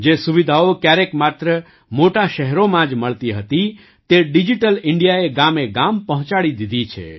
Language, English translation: Gujarati, Facilities which were once available only in big cities, have been brought to every village through Digital India